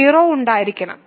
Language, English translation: Malayalam, So, it must contain 0